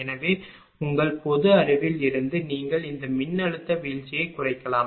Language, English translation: Tamil, So, from your commonsense you can make out this voltage drop will reduce